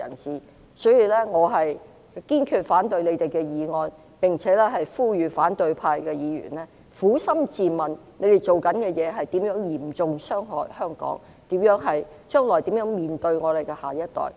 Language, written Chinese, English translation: Cantonese, 所以，我堅決反對他們的議案，並且呼籲反對派議員撫心自問，他們所做的事會嚴重傷害香港，將來如何面對我們的下一代？, Therefore I resolutely oppose their motion and call on opposition Members to ask themselves conscientiously how will they face our next generation as what they do will hurt Hong Kong seriously?